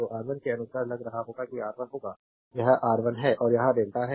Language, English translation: Hindi, So, R 1 will be you have look according to that R 1 will be this is your R 1 and this is delta